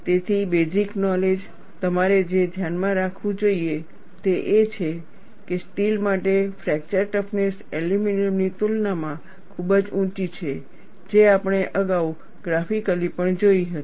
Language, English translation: Gujarati, So, the knowledge base, what you should keep in mind is, fracture toughness for steel is quite high in comparison to aluminum, which we had seen graphically also earlier